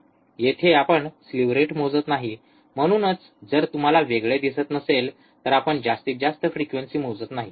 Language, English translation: Marathi, Here we are not measuring the slew rate that is why if you do not see a separate we are not measuring maximum frequency